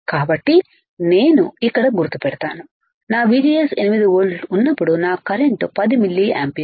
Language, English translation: Telugu, So, I am marking about here, when my VGS is 8 volts my current is about 10 milliampere